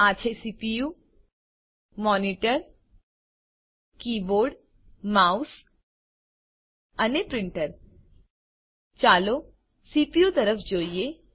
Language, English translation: Gujarati, This is the CPU Monitor Keyboard Mouse and Printer Lets look at the CPU